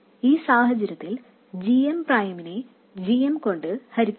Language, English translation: Malayalam, So, GM prime will be the same as GM